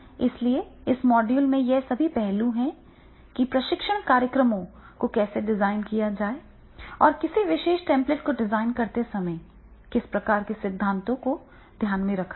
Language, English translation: Hindi, So therefore all these aspects are there in this module that is the how to design the training programs and what type of the theories are to be taken into the consideration while designing the particular template